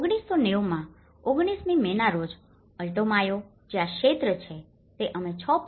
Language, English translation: Gujarati, In 1990, in 29th May, Alto Mayo, which is this region we are talking at 6